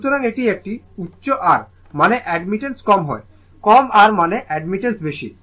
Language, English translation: Bengali, So, if ha high R means admittance is low, low R means admittance is high